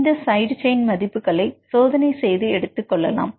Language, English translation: Tamil, This side chains you can take the experimental value right